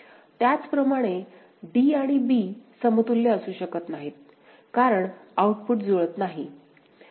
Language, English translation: Marathi, Similarly, d and b cannot be equivalent because outputs are not matching